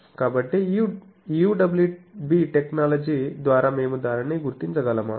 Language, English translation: Telugu, So, can we detect it by this UWB technology